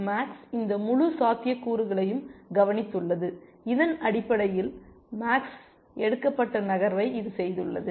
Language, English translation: Tamil, Max has looked at this entire set of possibilities, and on the basis of this has made the move that max has made essentially